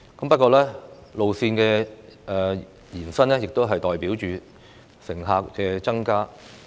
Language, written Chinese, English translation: Cantonese, 不過，路線的延伸亦代表着乘客數量的增加。, However extending railway lines represents an increase in the number of passengers